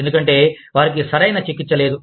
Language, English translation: Telugu, Because, they are not being treated, properly